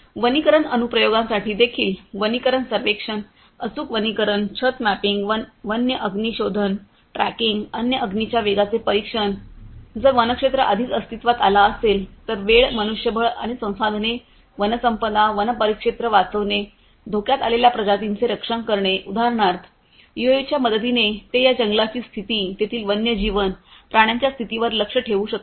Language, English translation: Marathi, For forestry applications also forestry survey, precision forestry, canopy mapping, wildfire detection tracking, monitoring of speed of wildfire; if a wildfire has already taken place, protecting endangered species saving the time manpower and resources, forest resources, you know forest rangers for example, you know with the help of UAVs they can monitor the condition of these forests, the species the wildlife that is there